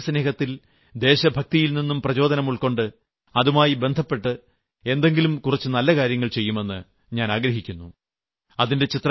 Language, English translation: Malayalam, I hope that you too become inspired with the spirit of patriotism and do something good in that vein